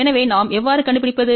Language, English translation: Tamil, So, how do we locate